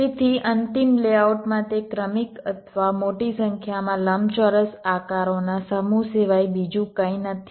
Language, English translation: Gujarati, so in the final layout, it is nothing but ah sequence or a set of large number of rectangular shapes